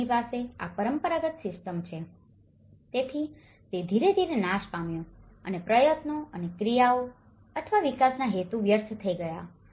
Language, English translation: Gujarati, They have this traditional system, so that has gradually destroyed and the efforts and actions or intentions of the development have been wasted